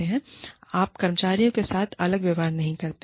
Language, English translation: Hindi, You do not treat employees, differently